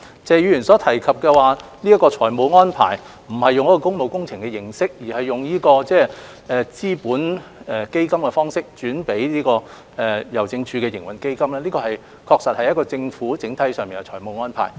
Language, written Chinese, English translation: Cantonese, 謝議員所提及的財務安排，不是採用工務工程項目的注資形式，而是以資本投資基金撥款予郵政署營運基金，這確實是政府整體上的財務安排。, The financial arrangement Mr TSE mentioned is not in the form of funding for public works projects but a commitment injected from the Capital Investment Fund to the Post Office Trading Fund